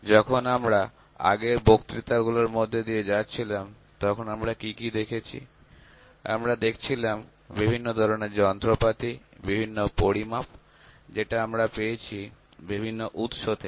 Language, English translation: Bengali, And what we did when we did when we are just going through the previous lectures; we were looking at the various instruments, various kinds of measurements that we obtained from different kinds of sources